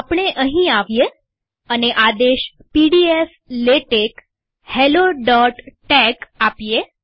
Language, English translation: Gujarati, We come here and show the command pdf latex hello